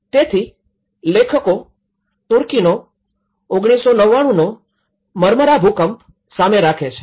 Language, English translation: Gujarati, So, the authors brought the 1999 Marmara earthquake Turkey